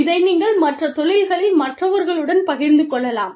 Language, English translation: Tamil, You can share this, with others, in other industries